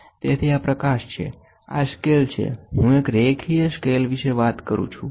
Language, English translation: Gujarati, So, this is light, this is scale, I am talking about a linear scale